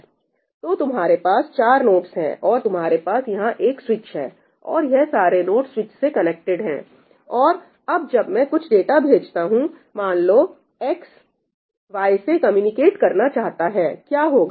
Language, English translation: Hindi, So, you have four nodes and you have a switch sitting over here, and all these nodes are connected to the switch; and now, when I send some data, let us say X wants to communicate to Y, what will happen